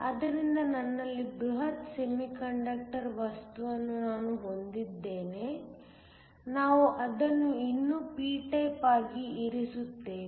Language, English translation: Kannada, So, I have my bulk semiconductor material, we still keep it to be p type